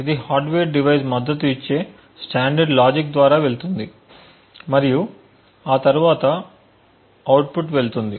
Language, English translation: Telugu, This would go through the standard logic which is supported by the hardware device and then the output goes